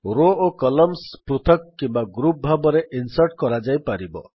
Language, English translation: Odia, Columns and rows can be inserted individually or in groups